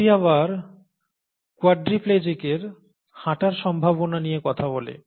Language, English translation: Bengali, This talks about the possibility of a quadriplegics walking again